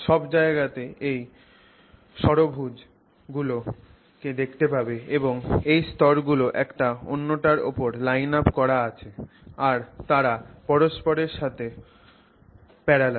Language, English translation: Bengali, So, everywhere you see these hexagons and these sheets lined up on top of each other, parallel to each other